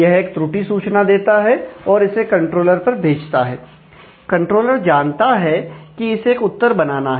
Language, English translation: Hindi, So, it plugs in a error message and sends it to the controller, controller now knows that a response has to be framed